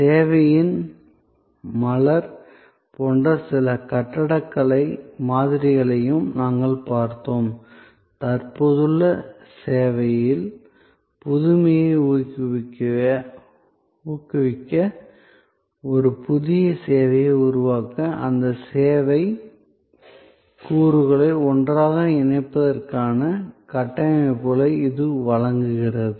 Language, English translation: Tamil, We also looked at certain architectural models, like the flower of service, which provide us frameworks for putting those service elements together to create a new service, to inspire innovation in an existing service and so on